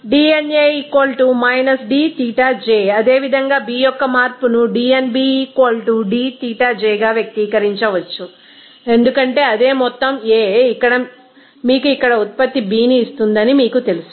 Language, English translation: Telugu, This dnA = dXij, the change of B similarly, can be expressed as dnB = dXij because same amount of A will give you that you know product B here